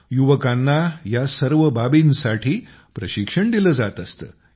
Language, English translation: Marathi, Youth are also given training for all these